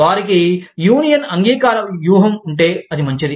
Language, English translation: Telugu, If they have a union acceptance strategy, then it is fine